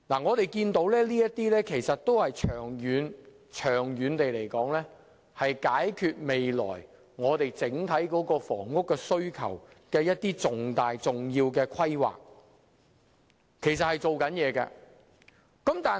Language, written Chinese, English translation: Cantonese, 我們可以看到，這些都是可以長遠解決未來整體房屋需求的重要規劃，其實政府是有做工夫的。, As we can see these planning proposals can address the overall housing demand in the long run . The Government has actually been doing practical work